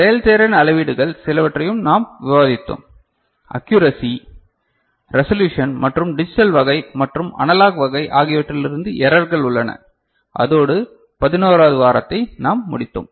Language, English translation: Tamil, And we also discussed some of the performance metrics – accuracy, resolution and there are errors involved, both from digital type and analog type and that is how we concluded week 11 ok